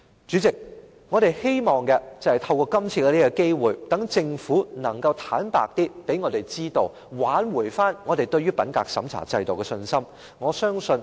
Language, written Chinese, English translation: Cantonese, 主席，我們希望透過今次的機會，使政府能夠向我們坦白，挽回我們對於品格審查制度的信心。, President we hope the Government will make use of this opportunity to be frank with us and restore our confidence in the integrity checking system